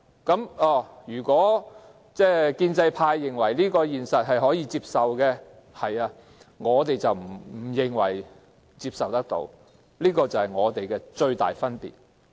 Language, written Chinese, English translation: Cantonese, 建制派認為可以接受這個現實，但我們卻認為不能接受，這便是我們之間的最大分歧。, This is the reality . The pro - establishment camp considers such reality acceptable but we consider it unacceptable and this makes the biggest difference between us